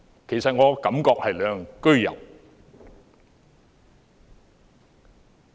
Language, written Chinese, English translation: Cantonese, 其實，我的感覺是兩樣俱有。, In fact my feeling is a mix of both